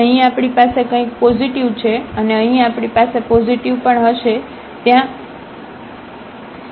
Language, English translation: Gujarati, So, here we have something positive and here also we will have positive this is a square there